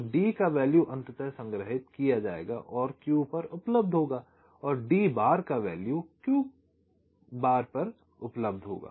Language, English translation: Hindi, so the value of d will ultimately be stored and will be available at q and d bar will be available at q bar